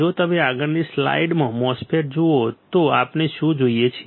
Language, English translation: Gujarati, If you see on the next slide the MOSFET, what do we see